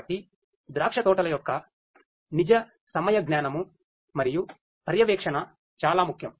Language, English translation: Telugu, So, it is very important to have real time sensing and monitoring of the vineyards